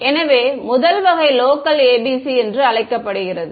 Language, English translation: Tamil, So, the first variety is what is what would be called local ABC ok